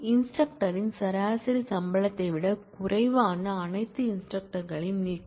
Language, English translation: Tamil, Delete all instructors whose salary is less than the average salary of instructor